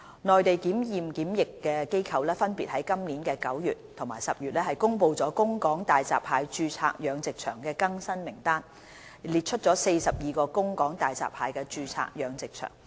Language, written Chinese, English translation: Cantonese, 內地檢驗檢疫機構分別於今年9月及10月公布了供港大閘蟹註冊養殖場的更新名單，列出42個供港大閘蟹註冊養殖場。, The Mainland inspection and quarantine authorities have released the updated list of registered aquaculture farms eligible for exporting hairy crabs to Hong Kong in September and October this year respectively